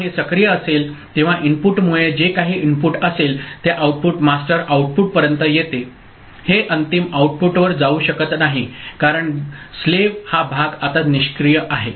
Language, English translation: Marathi, So, when it is active so because of the input, whatever the input is present the output comes up to the master output; it cannot go to the final output because this part of the slave is now inactive ok